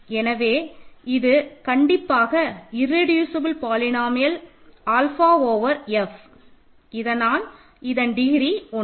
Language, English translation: Tamil, So, it is called the irreducible polynomial of alpha over F ok